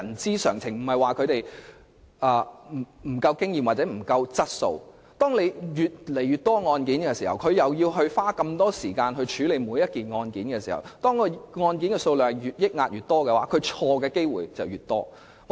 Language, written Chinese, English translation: Cantonese, 當裁判官須處理的案件越來越多，而每宗案件也要花費大量時間處理，再加上積壓的案件數量日益增加，裁判官犯錯的機會亦自然大增。, When magistrates have to deal with an increasing caseload and each case takes up a great deal of time and coupled with an excessive case backlog they are therefore more prone to make mistakes